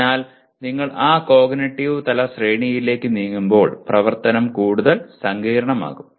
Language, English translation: Malayalam, So as you keep moving up this cognitive level hierarchy the activity can become more and more complex as we call it